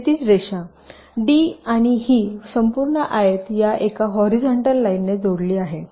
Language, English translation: Marathi, d, and this entire rectangle is connected by a horizontal line